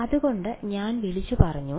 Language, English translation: Malayalam, So, I call I said